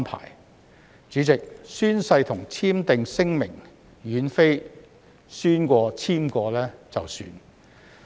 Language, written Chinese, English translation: Cantonese, 代理主席，宣誓和簽署聲明並非宣誓過、簽署過便作罷。, Deputy President taking an oath or signing a declaration does not end with doing just that